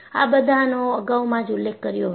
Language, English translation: Gujarati, This is what I had mentioned earlier